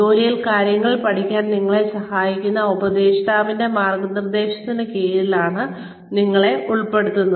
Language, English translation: Malayalam, Where, you are put under the guidance of a mentor, who helps you learn things on the job